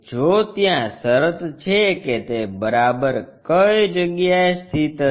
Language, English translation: Gujarati, If that is the case where exactly it will be located